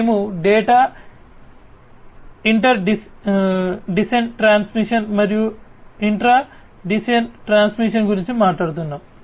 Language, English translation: Telugu, We are talking about data inter DCN transmission and intra DCN transmission